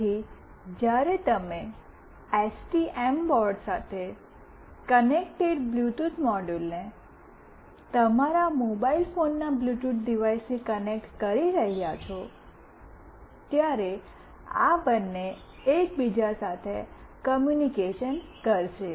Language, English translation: Gujarati, So, when you will be connecting the Bluetooth module connected with the STM board to your mobile phone Bluetooth device, these two will communicate with each other